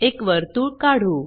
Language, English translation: Marathi, Draw a circle